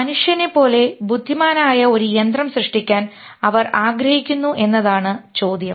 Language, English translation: Malayalam, The question is they want to create a machine which is as intelligent as human